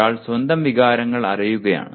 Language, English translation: Malayalam, One is knowing one’s own emotions